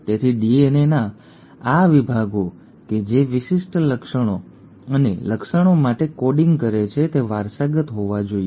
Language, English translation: Gujarati, So these sections of DNA which are coding for specific traits and the traits have to be heritable